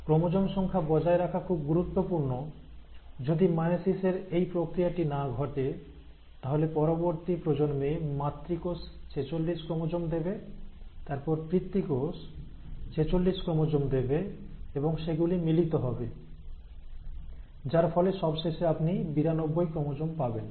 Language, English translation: Bengali, See it is very important to maintain the chromosome number, you know if this process of meiosis does not happen, then in the next generation, what will happen is the mother cell will give rise to forty six chromosome and then the father cells, let us say have forty six chromosomes and they are fused together, you end up getting ninety two chromosomes